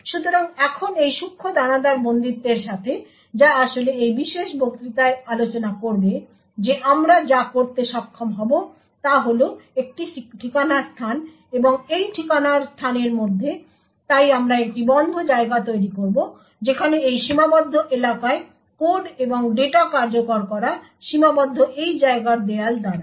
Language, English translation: Bengali, So now with this fine grained confinement which will actually discuss in this particular lecture what we would be able to do is obtain one address space and within this address space so we would create a closed compartment where code and data executing in this confined area is restricted by the walls of this compartment